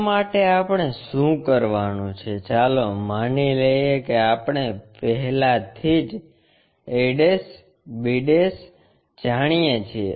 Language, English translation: Gujarati, For that what we have to do, let us assume we know already a' b'